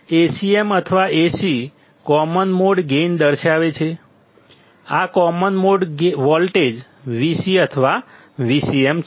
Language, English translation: Gujarati, Either A cm or Ac depicts common mode gain; this is common mode voltage; Vc or Vcm